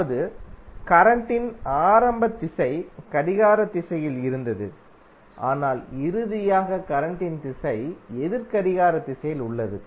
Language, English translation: Tamil, That means that our initial direction of current was clockwise but finally the direction of current is anti clockwise